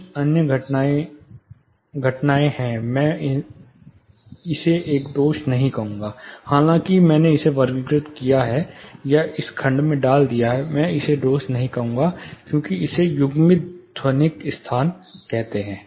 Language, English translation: Hindi, Other phenomena I will not call it a defect though I have classified or put it into this section I will not call it a defect, but we call coupled acoustic spaces